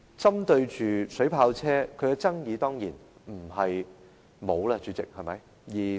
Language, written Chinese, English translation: Cantonese, 針對水炮車方面，當然不會沒有爭議，代理主席。, Deputy President insofar as water cannon vehicle is concerned certainly the topic will not go without controversies